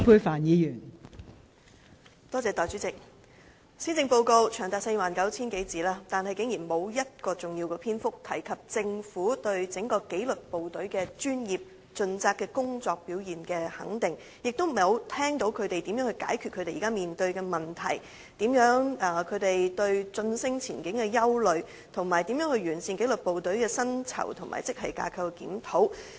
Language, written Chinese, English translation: Cantonese, 代理主席，施政報告長達 49,000 字以上，但竟然沒有一個重要篇章，表達政府對紀律部隊專業盡責的工作表現的肯定，也未見政府有任何措施解決他們現時面對的問題，對晉升前景的憂慮，以及完善紀律部隊的薪酬和職系架構檢討。, Deputy President although this Policy Address is a lengthy one of more than 49 000 words not a single major chapter has been devoted to express the Governments recognition of the professional and conscientious performance of the disciplined services . The Government has also proposed no initiative to tackle the problems they are now facing address their concerns about their future career prospect and improve the salary and grade structures reviews for the disciplined services